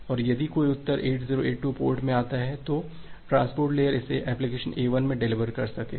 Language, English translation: Hindi, And if a reply comes in port 8082, the reply comes in port 8082, then the transport layer will be able to deliver it to the application A1